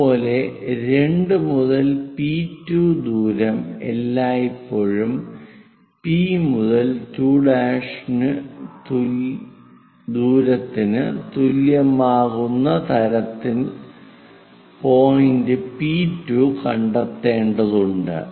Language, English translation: Malayalam, Similarly, we have to locate point P2 in such a way that 2 to P2 distance always be equal to P to 2 prime distance